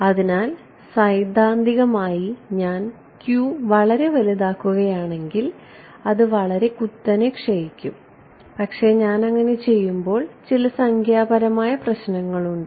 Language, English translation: Malayalam, So, theoretically it seems that if I make q to be very large then it will decay very sharply, but there are certain numerical issues that happened when I do that